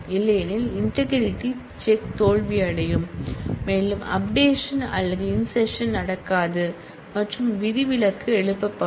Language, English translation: Tamil, Otherwise, the check integrity constraint will fail, and the update or insert will not happen and an exception will be raised